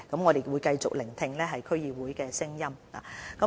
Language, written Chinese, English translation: Cantonese, 我們會繼續聆聽區議會的意見。, We will continue to listen to the views of the District Council